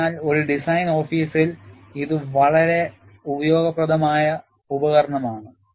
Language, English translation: Malayalam, So, in a design office, this is a very useful tool